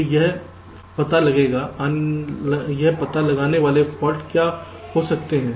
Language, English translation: Hindi, so what are the faults it can detect